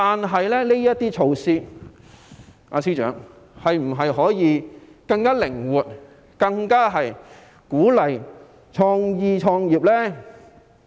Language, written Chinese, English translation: Cantonese, 可是，司長，這些措施可否更具靈活性，以鼓勵創意、創業呢？, However Secretary can such measures be implemented with greater flexibility so as to encourage creativity and entrepreneurship?